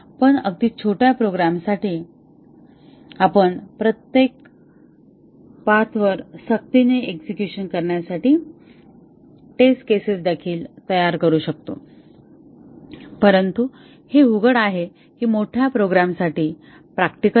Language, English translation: Marathi, But for very a small programs, we can even prepare test cases to force execution along each path, but which is obviously, not practical for large programs